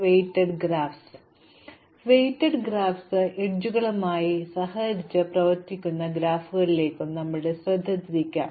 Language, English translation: Malayalam, So let's turn our attention now to weighted graphs, graphs in which edges have costs associated with them